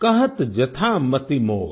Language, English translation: Hindi, Kahat jathaa mati mor